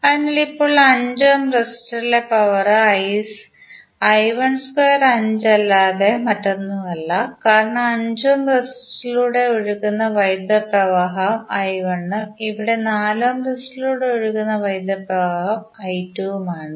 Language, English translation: Malayalam, So, now power in 5 ohm resistor is nothing but I 1 square into 5 because if you see the current flowing through 5 ohm resistance is simply I 1 and here for 4 ohm the power the current flowing is I 2